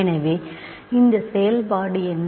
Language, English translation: Tamil, So, what is this function